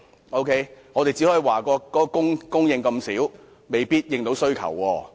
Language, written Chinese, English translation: Cantonese, 我們只能批評供應量少，未必足以應付需求。, We could only criticize the Government for the low supply as it might be unable to meet the demand